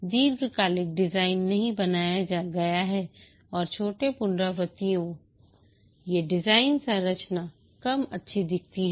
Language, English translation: Hindi, Long term design is not made and the short iterations, these degrade the design structure